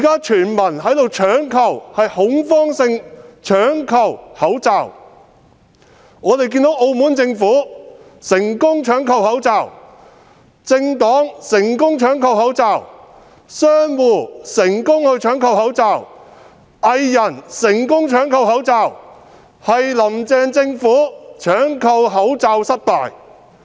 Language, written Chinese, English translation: Cantonese, 全民現正恐慌性搶購口罩，我們看到澳門政府成功搶購口罩、政黨成功搶購口罩、商戶成功搶購口罩、藝人亦成功搶購口罩，只是"林鄭"政府搶購口罩失敗。, At present all Hong Kong people are panic buying face masks . While the Macao Government can snap up face masks political parties can snap up face marks merchants and even artists can snap up face masks only the Carrie LAM Government fails in this task